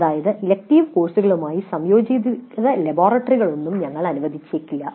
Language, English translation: Malayalam, That means no integrated laboratories will be allowed with elective courses